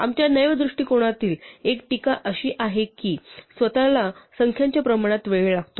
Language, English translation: Marathi, One of our criticisms of naive approach is that it takes time proportional to the numbers themselves